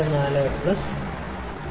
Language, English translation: Malayalam, 44 plus 6